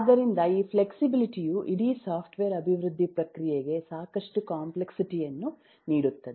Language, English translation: Kannada, so this flexibility adds a lot of complexity to the whole process of software development